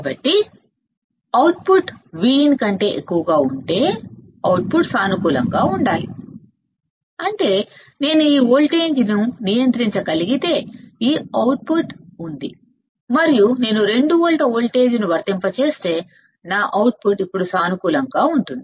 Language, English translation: Telugu, So, output will should to positive right if output is greater than the V in; that means, if I this voltage I can control right this output is there and if I apply voltage that is 2 volts, then my output will go to positive now